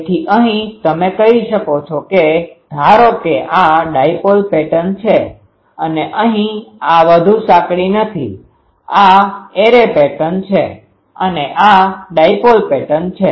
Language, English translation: Gujarati, So, here you can say that the suppose this is the dipole pattern and here this is not very narrow, sorry this is array pattern, this is dipole pattern